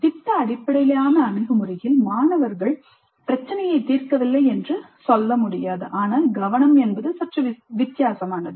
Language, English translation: Tamil, This is not to say that in project based approach the students are not solving the problem but the focus is slightly different